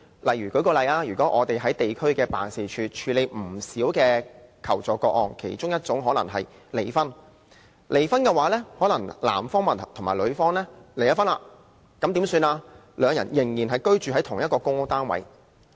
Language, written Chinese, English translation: Cantonese, 例如，我們在地區辦事處曾處理過不少求助個案，其中包括離婚個案：男方和女方已離婚，但兩人仍然居住在同一個公屋單位。, For example we have handled many requests for assistance in our ward offices including divorce cases in which both parties are divorced but still live together in the same PRH flat